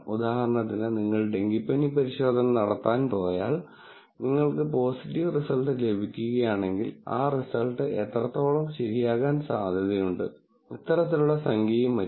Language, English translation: Malayalam, For example,, if you go, do a test for dengue and if you get a positive result, how likely is that result to be correct is given by, this kind of number and so on